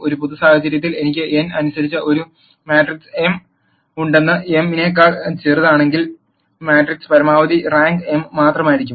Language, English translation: Malayalam, In a general case if I have a matrix m by n, if m is smaller than n, the maximum rank of the matrix can only be m